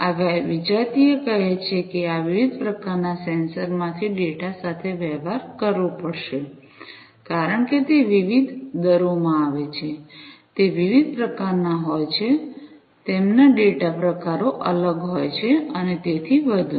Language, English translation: Gujarati, So, you know this heterogeneous say data from these different types of sensors will have to be dealt with, because they come in different rates, they are of different types their data types are different and so on